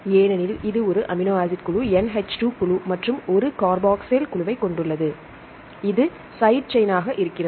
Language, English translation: Tamil, Because it contains an amino group NH2 group and a carboxyl group and this is the side chain